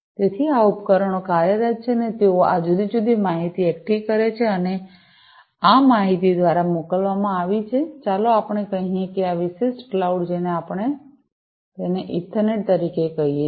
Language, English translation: Gujarati, So, these devices are operating and they collect these different information, and this information is sent through, let us say, this particular cloud we call it as the Ethernet